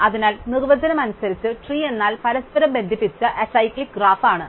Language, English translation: Malayalam, So, tree by definition is a connected acyclic graph